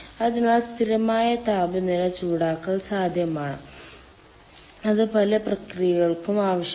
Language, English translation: Malayalam, so constant temperature heating is possible, and that is required by many um processes